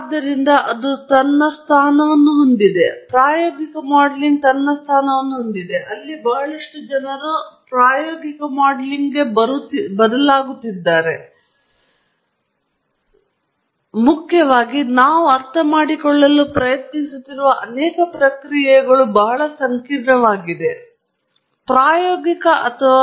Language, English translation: Kannada, So, that has its place, while empirical modelling has its place; where increasingly a lot of people are turning to empirical modelling, primarily because many processes that we are looking at, trying to understand, are quite complicated, quite complex, for us to write a first principles model